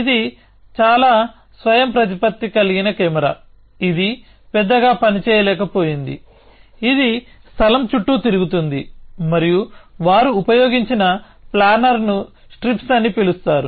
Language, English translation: Telugu, It was fairly autonomous cam of course, it could not do much, it could just roam around the place and the planner that they used was called strips